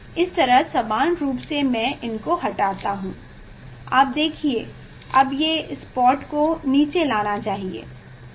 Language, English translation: Hindi, this way equally I will move you see, now this spot should the spot are moving down, yes